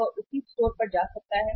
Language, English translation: Hindi, He may visit the same store